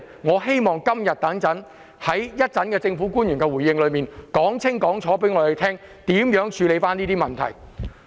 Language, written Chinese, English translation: Cantonese, 我希望政府官員在今天稍後的回應時間，可以清楚告訴大家，將會如何處理這些問題。, I hope the public officers will later clearly tell us in their response how these problems will be addressed